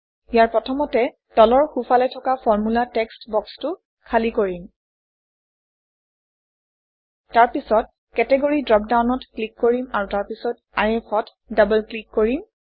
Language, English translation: Assamese, Here, let us first empty the Formula text box at the bottom right Then click on the Category dropdown, and then double click on IF